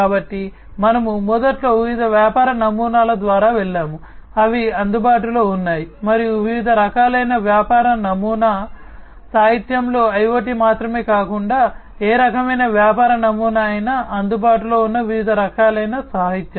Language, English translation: Telugu, So, we have initially we have gone through the different business models, that are available and the different types of business model, that are available in the literature not just IoT, but any kind of business model the different types of it that are available in the literature